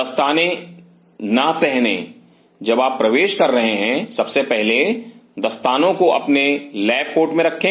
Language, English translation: Hindi, Do not put on the gloves as your entering first of all keeps the gloves in the lab coat